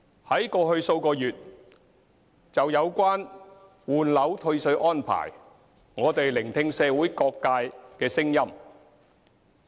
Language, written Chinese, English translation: Cantonese, 在過去數月就有關換樓退稅安排，我們聆聽社會各界聲音。, Over the past few months we have listened to the voices of various sectors of the community regarding the refund arrangement for property replacement